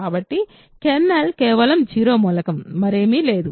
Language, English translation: Telugu, So, kernel is just the 0 element, there is nothing else